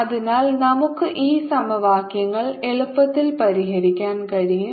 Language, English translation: Malayalam, so we can solve this equation easily